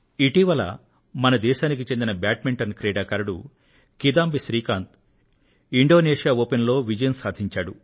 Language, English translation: Telugu, Recently India's Badminton player, Kidambi Shrikant has brought glory to the nation by winning Indonesia Open